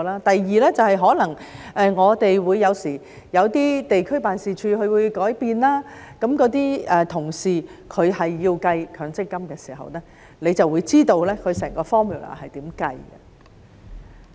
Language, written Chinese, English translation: Cantonese, 第二便是可能我們有時候有些地區辦事處有改變，那些同事要計算強積金的時候，你就會知道整個 formula 是如何計算。, Another situation is when our district office may sometimes have changes and we need to calculate MPF for those colleagues and that is when you will find out how it is calculated using the formula